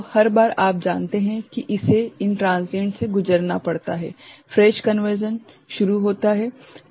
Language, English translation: Hindi, So, every time it has to go through these transients this you know the fresh conversion is starts